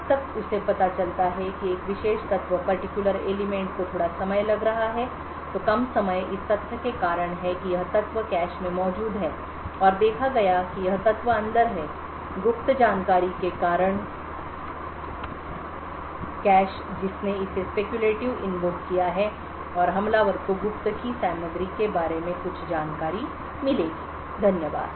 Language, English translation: Hindi, Over and over again until he finds out that one particular element is taking a shorter time so the shorter time is due to the fact that this element is present in the cache and noticed that this element is in the cache due to the secret of information which has invoked it speculatively and does the attacker would get some information about the contents of the secret, thank you